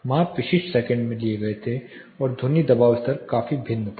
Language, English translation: Hindi, The measurements were taken at specific every second in the sound pressure level was significantly varying